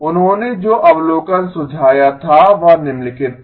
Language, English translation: Hindi, The observation that he suggested was the following